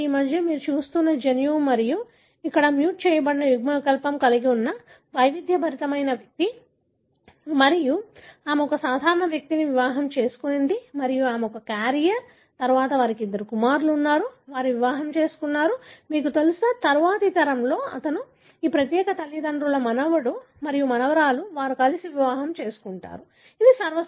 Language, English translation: Telugu, This is the gene that you are seeing in between and here is an individual who is heterozygous having a muted allele and she marries a normal individual and she is a carrier and then, they have got two sons, they marry, you know, of course and then in the next generation, his, you know, this particular parentÕs grand son and grand daughter they marry together, right